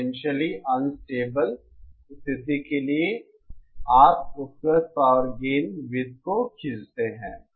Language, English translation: Hindi, For the potentially unstable case, you draw the available power gain circles